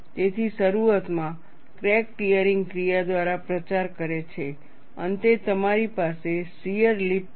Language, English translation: Gujarati, So, initially a crack propagates by tearing action, finally you have shear lip